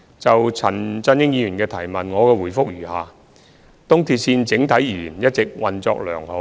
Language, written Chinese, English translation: Cantonese, 就陳振英議員的質詢，我的答覆如下：一東鐵線整體而言一直運作良好。, My reply to Mr CHAN Chun - yings question is as follows 1 On the whole ERL has been operating smoothly